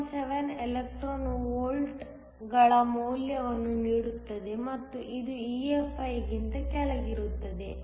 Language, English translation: Kannada, 417 electron volts and this is below EFi